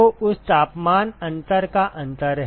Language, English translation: Hindi, So, that is the differential of that temperature difference ok